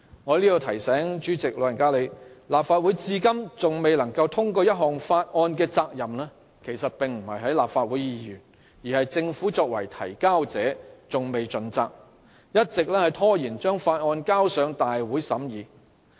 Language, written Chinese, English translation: Cantonese, "我在此提醒主席，立法會至今仍未能通過一項法案的責任其實不在議員，而是政府未有盡責，一直拖延將法案提交大會審議。, So far not a single bill has been passed . I would like to remind the President that Members should not be held responsible for passing not a single bill . It is the Government that has not fulfilled its responsibility stalling the submission of bills to the Council for scrutiny